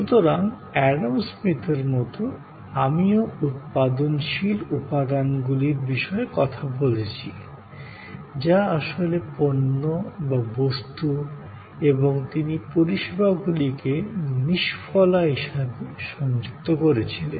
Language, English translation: Bengali, So, like Adam Smith I have talked about productive elements, which were actually the goods, objects and in some way, he connoted services as unproductive